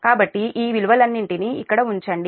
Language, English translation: Telugu, so put all the all, all this, all this value here